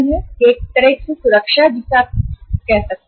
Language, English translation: Hindi, This is the security in a way you can call it as